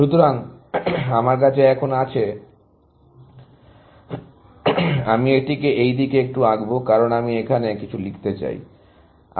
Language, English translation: Bengali, So, I have now, I will just draw it a little bit this side, because I want to write things here